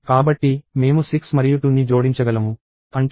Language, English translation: Telugu, So, I can add 6 and 2; that is 8